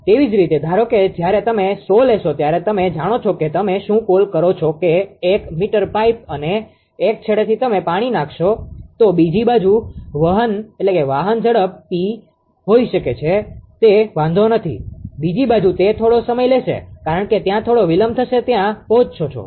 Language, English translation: Gujarati, Similarly, when suppose you take a 100 million what you call that 1 meter pipe and from 1 end you put water, another side may be with high speed does not matter, another side it will take some time because some delay will be there to these there